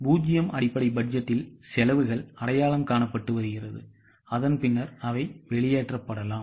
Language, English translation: Tamil, In zero based budgeting, such expenses are identified and then they can be eliminated